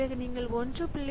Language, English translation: Tamil, So, this is equal to 1